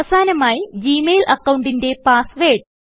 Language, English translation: Malayalam, And, finally, enter the password of the Gmail account